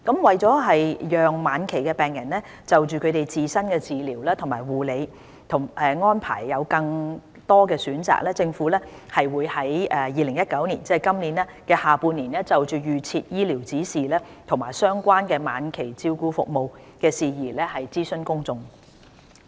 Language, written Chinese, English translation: Cantonese, 為讓晚期病人就他們自身的治療及護理安排有更多選擇，政府會於2019年下半年就預設醫療指示及相關晚期照顧服務的事宜諮詢公眾。, To allow terminally - ill patients more options of their own treatment and care arrangements the Government will consult the public in the second half of 2019 on arrangements of advance directives ADs and relevant end - of - life care